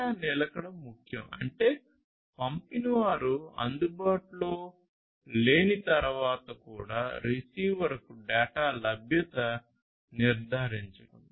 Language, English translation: Telugu, So, data persistence is important; that means, ensuring the availability of the data to the receiver even after the sender is unavailable